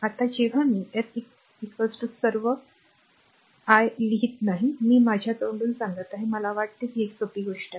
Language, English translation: Marathi, Now when i s is equal to all I am not writing I am telling from my mouth I think it is understandable to a simple thing